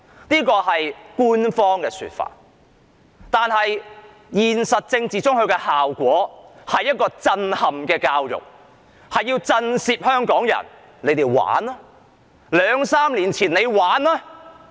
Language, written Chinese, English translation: Cantonese, 這是官方的說法，但現實中的政治效果，是震撼教育，目的是要震懾香港人："你們玩吧，兩三年前你們玩吧！, While this is the official claim the political effect of the Bill in reality is to implement shock education . The purpose is to frighten the people of Hong Kong That is the consequence of what you did two or three years ago!